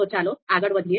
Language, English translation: Gujarati, So let us move forward